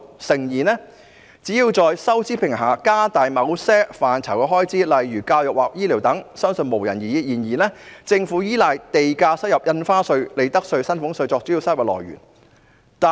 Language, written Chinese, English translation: Cantonese, 誠然，在收支平衡的情況下加大某些範疇的開支，例如教育或醫療等，相信沒有人會有異議，但政府卻依賴地價、印花稅、利得稅和薪俸稅等作為主要收入來源。, Honestly speaking if fiscal balance is achieved no one would oppose an increase in expenditure in areas such as education and health care . The problem is that the Government has relied too heavily on land premium stamp duty profits tax and salaries tax as its major sources of income